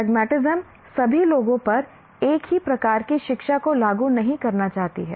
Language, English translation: Hindi, One doesn't, pragmatism doesn't want to enforce the same type of education on all people